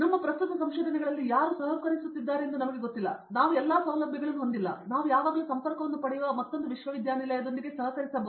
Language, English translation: Kannada, We don’t know who will be collaborating in our current research itself, we might not have all the facilities, but we can always collaborate with another university we can get the contacts